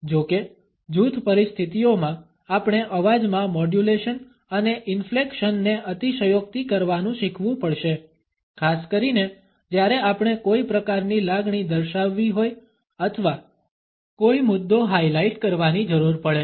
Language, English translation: Gujarati, However, in group situations we have to learn to exaggerate the voice modulation and inflections, particularly when we have to demonstrate some kind of emotion or highlight a point